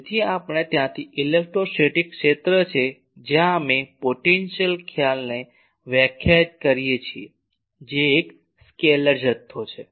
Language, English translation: Gujarati, So, there we since electrostatic fields where conservative we define the concept of potential which is a scalar quantity